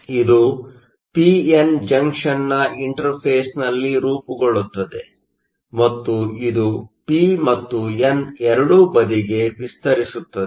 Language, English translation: Kannada, So, this forms at the interface of the p n junction and it extends to both the p and the n side